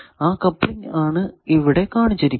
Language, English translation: Malayalam, That coupling is shown here